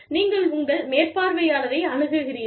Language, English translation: Tamil, So, you approach, your supervisor